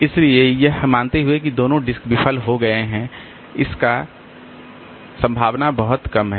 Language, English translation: Hindi, So, assuming that both the disk has failed, so that probability is pretty less